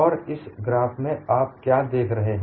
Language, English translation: Hindi, And what do you see in this graph